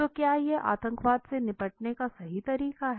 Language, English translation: Hindi, So is it the right way to be tackled with terrorism